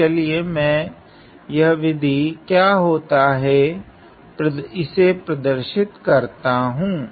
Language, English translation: Hindi, So, let me just highlight what is this method